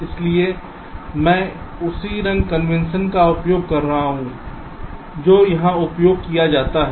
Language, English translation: Hindi, so i am using the same color convention as is used here, and with red there will be a connection like this